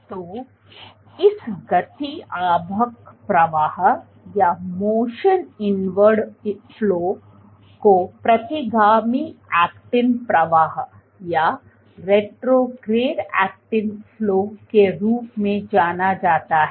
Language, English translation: Hindi, So, this motion inward flow is referred to as retrograde actin flow